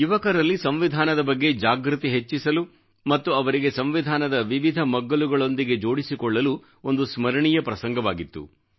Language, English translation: Kannada, This has been a memorable incident to increase awareness about our Constitution among the youth and to connect them to the various aspects of the Constitution